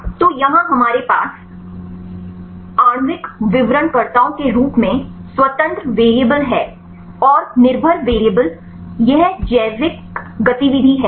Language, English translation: Hindi, So, here we have the independent variable as molecular descriptors and the dependent variable this is the biological activity